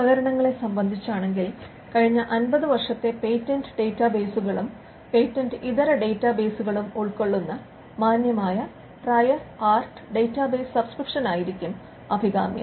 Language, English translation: Malayalam, With regard to equipment decent prior art database subscription to cover patent and non patent databases for the last 50 years would be preferable